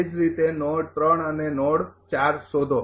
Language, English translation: Gujarati, Similarly find out node 3 and node 4